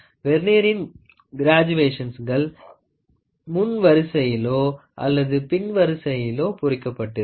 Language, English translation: Tamil, The Vernier has engraved graduations which are either a forward Vernier or a backward Vernier